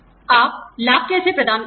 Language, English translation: Hindi, How do you administer benefits